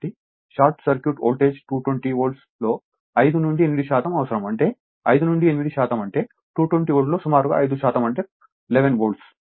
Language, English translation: Telugu, So, short circuit voltage you need 5 to 8 percent of 220 Volt; that means, your 5 to 8 percent means roughly your 5 percent of 220 Volt means hardly 11 volt